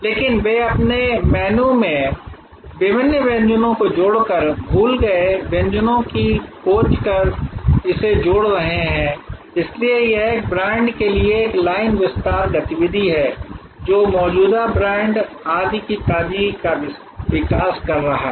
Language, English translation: Hindi, But, they are creating different adding different items to their menu discovering forgotten recipes and adding it, so this is a line extension activity for a brand this is creating the freshness evolution of the existing brand etc